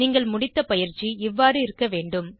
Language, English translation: Tamil, Your completed assignment should look as follows